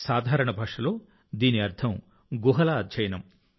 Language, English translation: Telugu, In simple language, it means study of caves